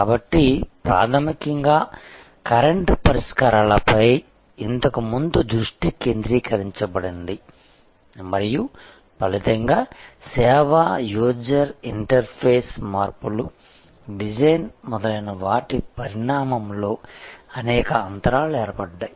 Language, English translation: Telugu, So, fundamentally that, where the focus earlier was on current fixes and there as a result there were many different gaps in the evolution of the service, user interface, changes, design, etc